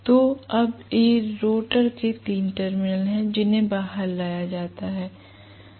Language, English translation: Hindi, So, now these are three terminals of the rotor that are brought out